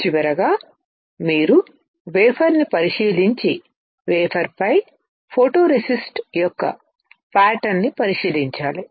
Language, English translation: Telugu, Finally, you have to inspect the wafer and inspect the pattern of photoresist on the wafer